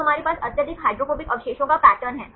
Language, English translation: Hindi, So, we have the pattern of highly hydrophobic residues